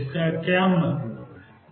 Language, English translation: Hindi, So, what is that mean